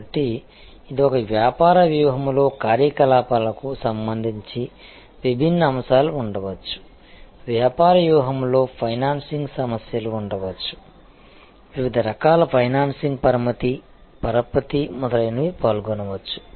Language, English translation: Telugu, So, this is a point that in a business strategy, there are may be different aspects with respect to operations, in a business strategy there could be financing issues, different types of financing leveraging, etc may be involved